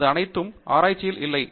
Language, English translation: Tamil, That is not at all research